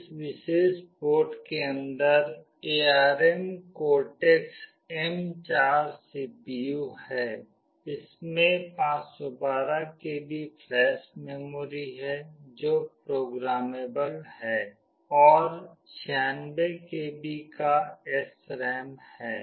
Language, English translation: Hindi, The CPU inside this particular board is ARM Cortex M4; it has got 512 KB of flash memory that is programmable and 96 KB of SRAM